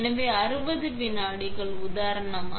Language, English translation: Tamil, So, 60 seconds for example